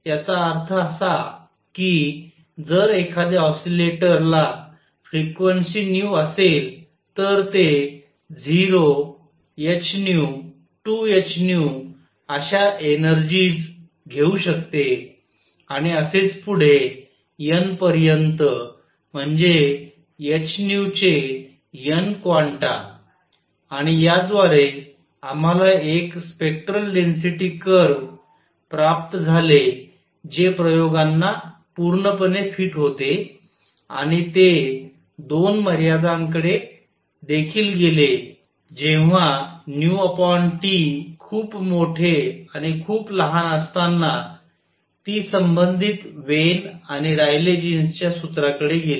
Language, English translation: Marathi, That means, if an oscillator has frequency nu, it can take energies 0 h nu 2 h nu and so on n that is n quanta of h nu and through this, we obtained a spectral density curve that fit at the experiments perfectly and it also went to in the 2 limits nu over T being very large and very small, it went to the respective Wien’s and Rayleigh Jean’s formula